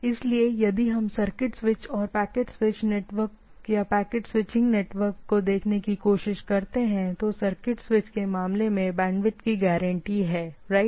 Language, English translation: Hindi, So, if we try to now look at circuit switched and packet switched network or packet switching network, right; so in case of circuit switch, bandwidth is guaranteed right